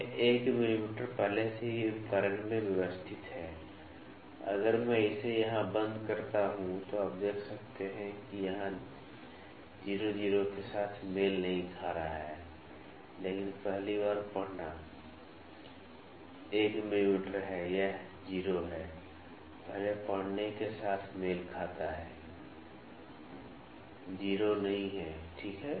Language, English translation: Hindi, This 1 mm is already calibrated in the instrument, if I close it here, you can see that 0 here is coinciding with not 0, but first reading that is 1 mm this is 0 is coinciding with the first reading not the 0, ok